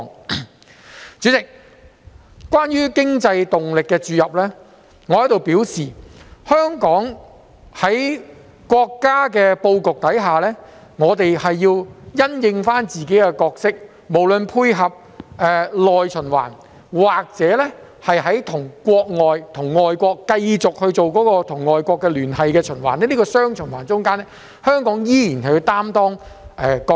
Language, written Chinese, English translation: Cantonese, 代理主席，關於經濟動力的注入，我想表示，香港在國家的布局下，我們需要因應情況擔當好自己的角色，不論是配合內循環或是與外國繼續進行聯繫循環的情況，在這雙循環中，香港依然要擔當一個角色。, Deputy President regarding injection of impetus into the economy I wish to express that in the overall planning of our country Hong Kong should play its role in the light of the situation be it in the area of supporting the internal circulation or continuing its connections with overseas countries . Hong Kong still needs to play a role in this dual circulation